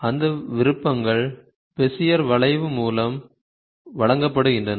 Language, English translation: Tamil, So, those options are given by this Bezier curve